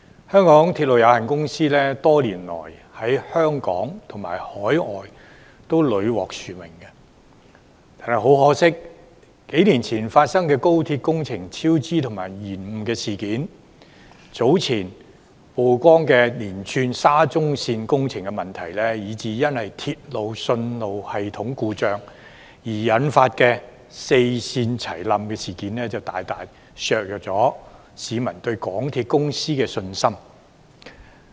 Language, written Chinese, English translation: Cantonese, 香港鐵路有限公司多年來在香港及海外屢獲殊榮，很可惜，數年前發生的廣深港高速鐵路香港段工程超支及延誤事件、早前曝光的連串沙田至中環線工程問題，以至因鐵路信號系統故障而引發四線服務同時中斷的事件，大大削弱了市民對港鐵公司的信心。, Over the years the MTR Corporation Limited MTRCL has received numerous accolades both locally and overseas . But it is unfortunate that the project overruns and delays of the Hong Kong Section of the Guangzhou - Shenzhen - Hong Kong Express Rail Link XRL a few years ago the spate of problems related to the Shatin to Central Link SCL project exposed earlier and the service disruption of four railway lines simultaneously due to failure of the signalling system not long ago have seriously undermined public confidence in MTRCL